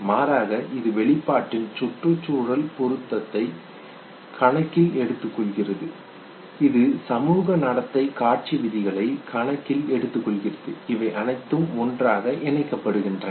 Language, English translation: Tamil, Rather it does take into account the ecological suitability of the expression it does take into account the social conduct display rules okay and all these things combined together